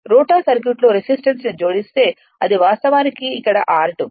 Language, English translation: Telugu, If you add resistance rotor circuit then this is actually r 2 dash is here